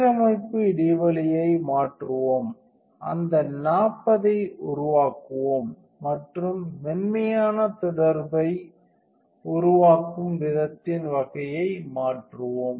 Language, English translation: Tamil, Let us change the alignment gap let us make that 40 and let us change the type of rule making soft contact